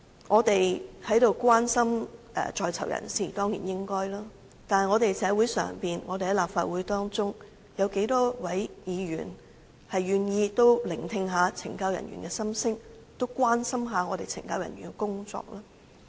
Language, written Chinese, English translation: Cantonese, 我們當然應該關心在囚人士，但在社會上、在立法會中，又有多少議員願意聆聽懲教人員的心聲，關心懲教人員的工作呢？, Of course we should show concern to inmates but in our society and in this legislature how many of us are willing to listen to the voice of CSD staff and care about the work of CSD staff?